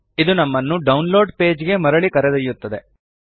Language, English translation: Kannada, This takes us back to the download page